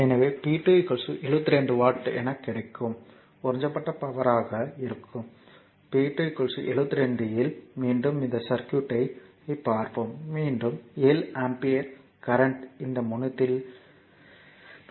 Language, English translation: Tamil, So, here it will see that that in the that your p 2 is equal to 72 that is power absorbed power that is p 2 is equal to 72 watt, again you come to this circuit that again 7 ampere current is entering into this terminal